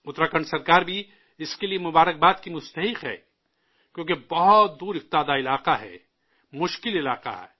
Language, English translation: Urdu, The government of Uttarakhand also rightfully deserves accolades since it's a remote area with difficult terrain